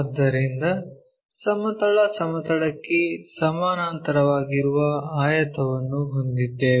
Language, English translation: Kannada, So, a rectangle parallel to horizontal plane